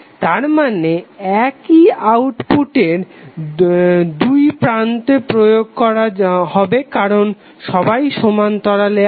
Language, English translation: Bengali, That means the same would be applied across this because all are in parallel